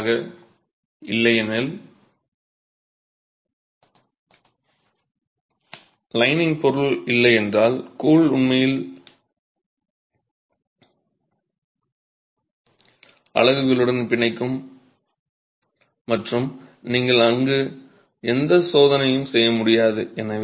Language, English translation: Tamil, Otherwise if there is no lining material the grout will actually bond with the units and you can't do any test there